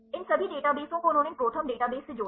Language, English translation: Hindi, All these databases they linked these ProTherm database